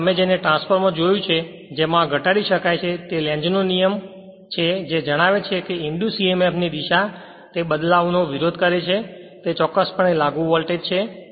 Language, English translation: Gujarati, Now as per the your what you call for your transformer we have seen that this can be deduced by Lenz’s law which states that the direction of an induced emf is such as to oppose the change causing it which is of course, the applied voltage right